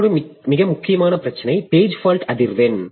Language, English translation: Tamil, Another very important issue that we have is the page fault frequency